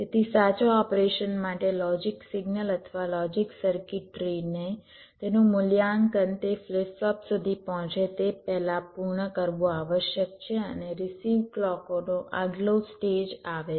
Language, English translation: Gujarati, so for correct operation, the logic signal or logic circuitry or must complete it evaluations before ah, it reaches the flip flop and next stage of receive clocks comes